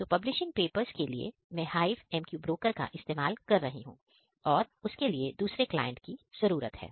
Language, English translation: Hindi, So, here for publishing purpose, I am using the HiveMQ broker and there is another client is required over here